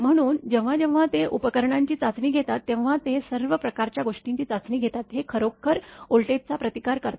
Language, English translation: Marathi, So, whenever they are testing the equipment they test all sort of things so, this is actually withstand voltage